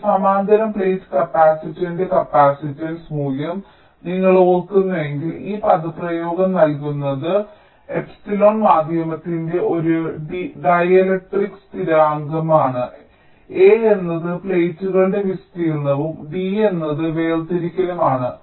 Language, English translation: Malayalam, so the capacitance value of a parallel plate capacitor, if you recall, is given by this expression, where epsilon is a ah dielectric constant of the medium, a is the area of the plates and d is the separation